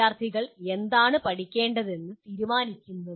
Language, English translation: Malayalam, Who decides what is it that the students should learn